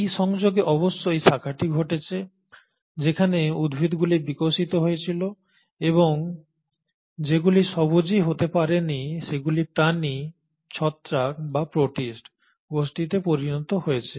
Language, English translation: Bengali, So it is at this junction the branching must have happened where the plants must have evolved while the ones which could not become autotrophic continued to become the animal, a fungal or the protist group